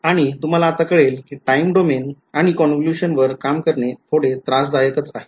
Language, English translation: Marathi, And I mean all of you will know by now that working in the time domain and a convolution is a little bit more painful